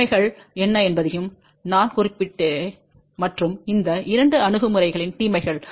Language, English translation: Tamil, I also mentioned about what are the advantages and disadvantages of these two approaches